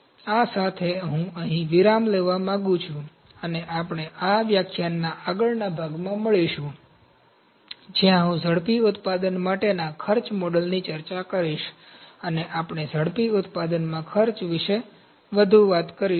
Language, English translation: Gujarati, With this I would like to have a break here, and we will meet in the next part of this lecture, where I will discuss the cost models for rapid manufacturing, and we will talk more about the costing in rapid manufacturing